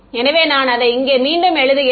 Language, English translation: Tamil, So, I just rewrite it over here